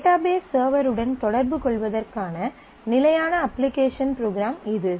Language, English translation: Tamil, It is a standard application program to communicate with database server